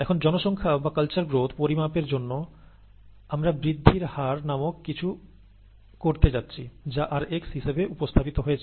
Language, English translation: Bengali, Now to quantify the population or culture growth, we are going to use something called a growth rate, which is represented as r subscript x, rx